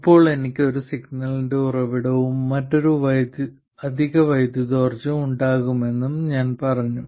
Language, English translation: Malayalam, Now, now I said that I will have a source of signal and another additional source of power